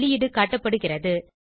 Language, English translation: Tamil, The output is as shown